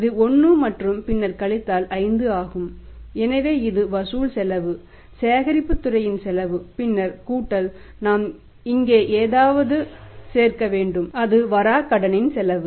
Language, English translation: Tamil, 2 this is 1 and then it is 5 that was existing so this is the collection cost cost of the collection department and then plus we will have to add something here and that something here we are going to add is that is the bad debts cost